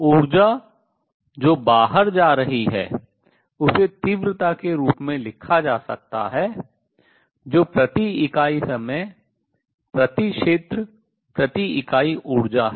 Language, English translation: Hindi, Energy which is going out can be written as the intensity which is energy per unit per area per unit time